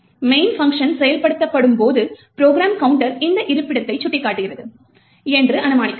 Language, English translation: Tamil, When the main function gets executed and let us assume that the program counter is pointing to this particular location